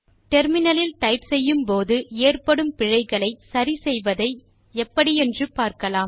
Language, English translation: Tamil, Lets now see how to correct typing errors, which we often make while typing at the terminal